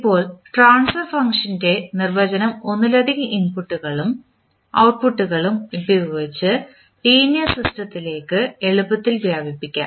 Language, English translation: Malayalam, Now, the definition of transfer function is easily extended to linear system with multiple inputs and outputs